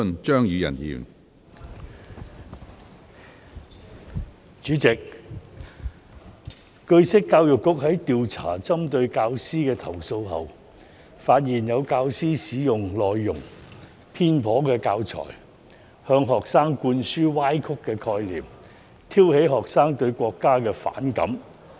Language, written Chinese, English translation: Cantonese, 主席，據悉，教育局在調查針對教師的投訴後，發現有教師使用內容偏頗的教材，向學生灌輸歪曲的概念，挑起學生對國家的反感。, President it is learnt that the Education Bureau EDB after investigating complaints against teachers found that some teachers had used teaching materials with biased contents to impart twisted concepts to students and arouse students hostility towards the nation